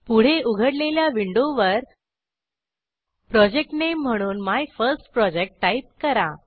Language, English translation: Marathi, Type the Project Name as MyFirstProject